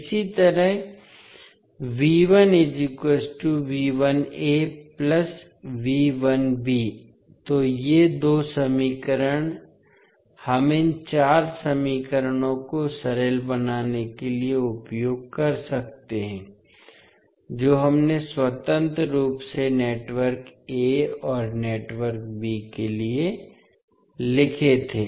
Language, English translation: Hindi, Similarly, V 1 can be written as V 1a plus V 1b so these two equations we can use to simplify these four equations which we wrote independently for network a and network b